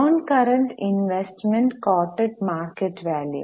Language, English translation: Malayalam, Non current investment coated market value